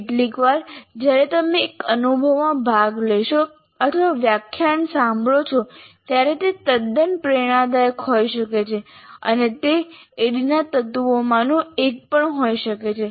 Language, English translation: Gujarati, See, sometimes when you participate in one experience or listen to a lecture, it could be quite inspirational and that also can be one of the elements of ADI